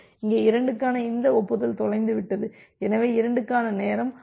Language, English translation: Tamil, And here this acknowledgement for 2 got lost, so this timeout for 2 is running